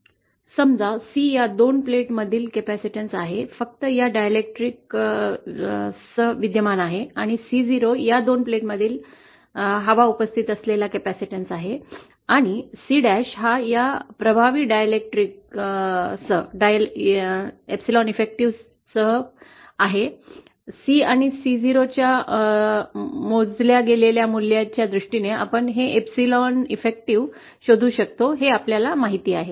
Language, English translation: Marathi, Is suppose C is the capacitance between these two plates, with just this dielectrics present and C 0 is the capacitance between these two plates with air present and C dash is the capacitance with, with this effective dielectric with dielectric material having epsilon effective present, then we can, you know we can find out a relationship for this epsilon effective, in terms of this measured values of C and C0